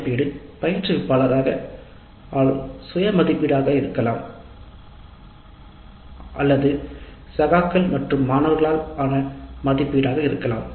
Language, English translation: Tamil, The evaluation can be self evaluation by the instructor as well as by peers and students